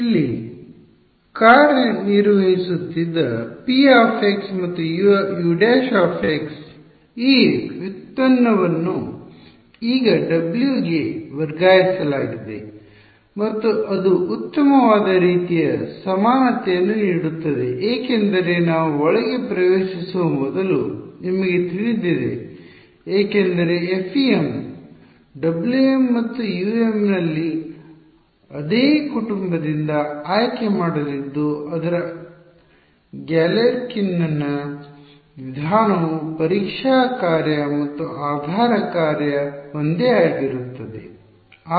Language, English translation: Kannada, This derivative which was acting here on p x and U prime x has now been transferred onto W and that gives a nice kind of symmetry because you know before we even get into you know that in FEM W m and U M there going to be chosen from the same family right its Galerkin’s method the testing function and the basis function is the same